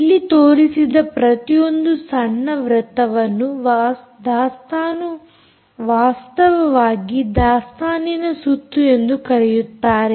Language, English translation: Kannada, ok, each one of this small circle which i have shown here is indeed called inventory round